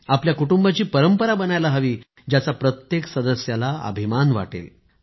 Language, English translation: Marathi, Such a tradition should be made in our families, which would make every member proud